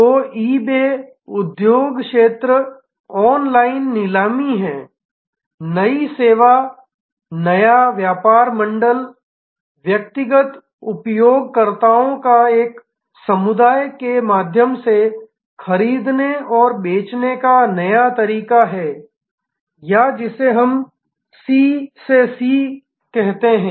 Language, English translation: Hindi, So, eBay industry sector is online auction, new service new business model is a new way of buying and selling through a community of individual users or what we just now called C to C